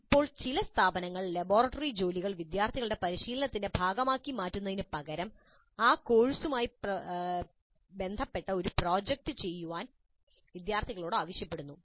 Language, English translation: Malayalam, Now some institutes, instead of making the laboratory work as a part of the practice by the students are asking the students to do a project related to that course work